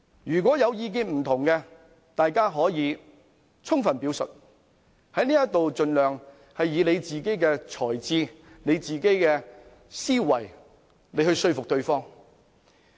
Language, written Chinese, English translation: Cantonese, 如有意見分歧，大家可以充分表述，在這裏盡量以自己的才智、思維說服對方。, In case of disagreement we may present our arguments thoroughly trying our utmost to convince the other side with our intellect and lines of thought here